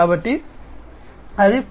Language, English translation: Telugu, So, in Industry 4